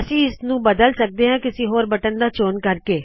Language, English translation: Punjabi, I can change this by choosing any other button